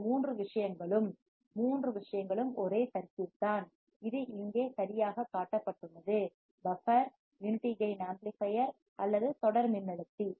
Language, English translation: Tamil, These three things we have seen, all three things is same circuit which is right shown here, buffer, unity gain amplifier or voltage follower